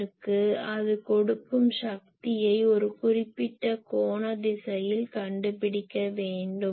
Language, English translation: Tamil, So, I will have to find the power that it is giving in a particular angular direction